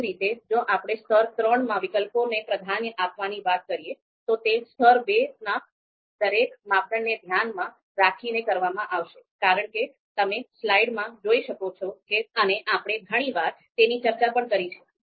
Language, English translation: Gujarati, Similarly if we talk about prioritizing alternatives in level three, so this is going to be with regard to each criterion in level two as you can see in slide and we have talked about this so many times